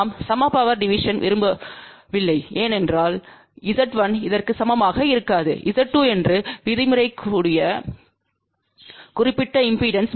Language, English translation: Tamil, If we do not want equal power division then Z1 will not be equal to this particular impedance which maybe let us says Z 2